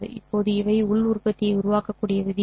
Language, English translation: Tamil, Now these are the rules by which we can construct the inner product